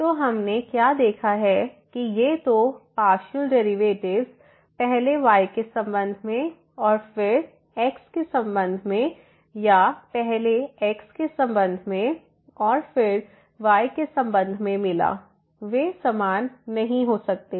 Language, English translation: Hindi, So, what we have observed that these 2 partial derivatives first with respect to y and then with respect to or first with respect to and then with respect to they may not be equal